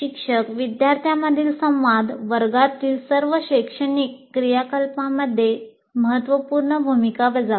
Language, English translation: Marathi, And teacher student interaction plays a very important role in all learning activities in the classroom